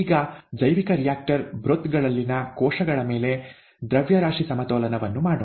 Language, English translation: Kannada, Now, let us do a mass balance on cells in the bioreactor broth